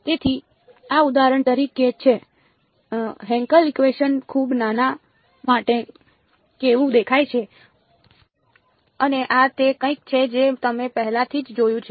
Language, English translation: Gujarati, So, this is for example, how the Hankel function looks like for very small rho and this is something you have already seen